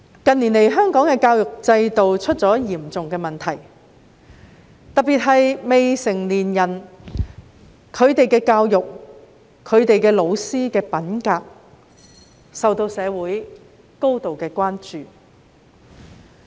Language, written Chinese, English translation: Cantonese, 近年，香港的教育制度出現嚴重問題，特別是未成年人的教育及教師的品格，均受到社會的高度關注。, In recent years there have been serious problems with Hong Kongs education system particularly concerning the education of minors and the characters of teachers which have aroused grave concern in the community